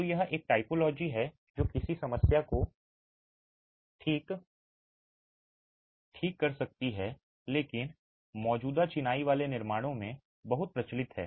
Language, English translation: Hindi, So, this is a typology that can throw up a problem, but is very prevalent in existing masonry constructions